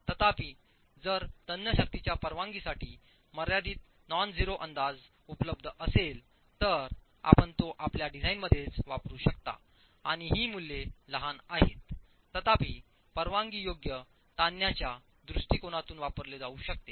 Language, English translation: Marathi, However, if a finite non zero estimate of the permissible of the tensile strength is available, you can then use it within your design and these values are small, however, can be used within the permissible stresses approach